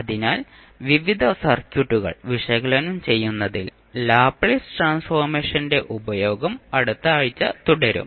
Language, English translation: Malayalam, So, next week we will continue our utilization of Laplace transform in analyzing the various circuits